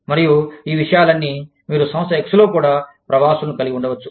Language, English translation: Telugu, And, all these things, you could have expatriates, in firm X, also